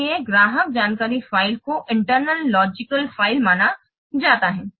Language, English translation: Hindi, So, customer info file will be an internal logical file